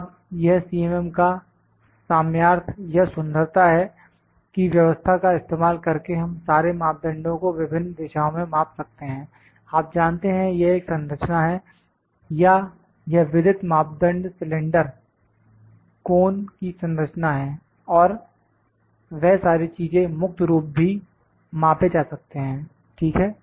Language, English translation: Hindi, Now, this is the potential or the beauty of the CMM that we can by using a single setup, we can measure all the parameters in different directions in different, you know this is a structure or this is a structure of the known parameter cylinder, cone all those things also free form can be measured, ok